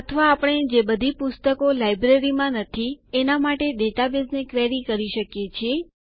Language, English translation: Gujarati, Or we can query the database for all the books that are not in the Library